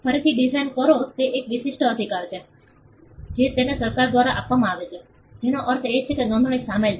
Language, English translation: Gujarati, Design again it is an exclusive right it is conferred by the government, which means it involves registration